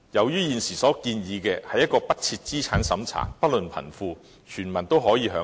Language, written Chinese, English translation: Cantonese, 現時所建議的退休保障制度，不設資產審查，不論貧富，全民均可以享有。, Under the present retirement protection system proposal the protection is non - means - tested and made available to all elderly people regardless of their wealth